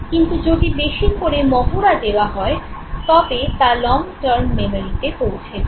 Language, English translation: Bengali, If they are further rehearsed, they pass on to long term memory